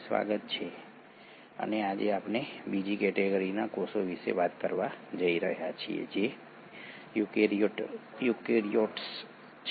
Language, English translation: Gujarati, Welcome back and today we are going to talk about the second category of cells which are the eukaryotes